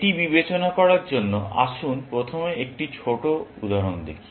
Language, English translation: Bengali, To consider that, Let us first look at a small example